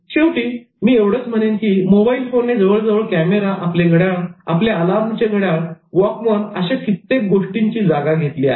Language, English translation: Marathi, Finally, I concluded with the thought that your cell phone has already replaced your cameras, your calendar, your alarm clock, your watch and your Walkman